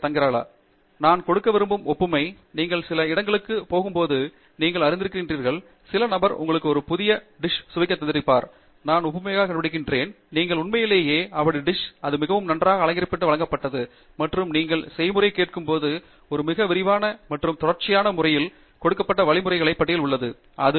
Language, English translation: Tamil, Having the analogy that I wanted to give is, when you go to some one’s place, and you know, that person is presenting you with a new dish, I am found of analogies, and you really like that dish and it is been presented very nicely, ornated, and when you ask for the recipe, there is a list of instructions given in a very detailed and a sequential manner, and you think really that the person followed that